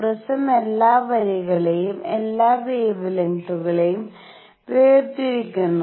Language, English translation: Malayalam, The prism separates all the lines all the wavelengths